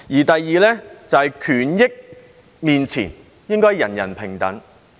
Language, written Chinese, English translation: Cantonese, 第二，在權益面前，應該人人平等。, Second everyone should be equal in front of rights and interests